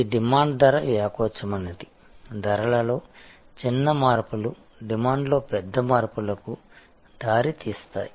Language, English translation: Telugu, , which is demand is price elastic, small changes in prices lead to big changes in demand